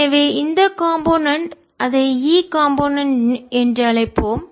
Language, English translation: Tamil, so this component, let's call it e component